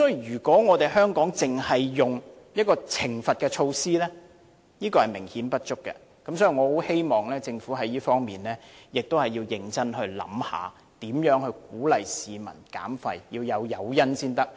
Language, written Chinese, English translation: Cantonese, 如果香港只使用懲罰措施是明顯不足的，我希望政府在這方面認真考慮如何鼓勵市民減廢，要有誘因才行。, If Hong Kong only goes by a penalty system it is grossly insufficient . I hope that the Government can consider seriously how to encourage citizens to reduce waste preferably with an incentive